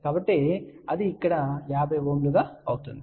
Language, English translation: Telugu, So, that will become 50 Ohm over here